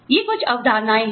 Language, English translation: Hindi, These are some concepts